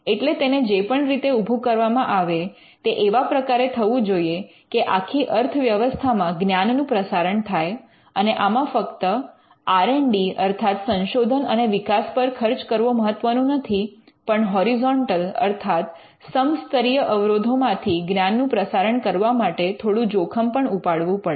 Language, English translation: Gujarati, So, in whatever way it is set up it should be set up in a way in which there is diffusion of new knowledge throughout the economy and there it is not just R and D spending that is important, but this dissemination of knowledge across horizontal barriers the state does take some risk